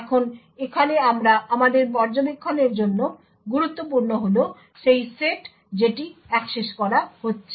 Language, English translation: Bengali, Now important for us to observer over here is the set which gets accessed